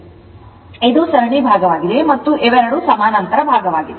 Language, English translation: Kannada, So, this is a see this is series part and this 2 are parallel part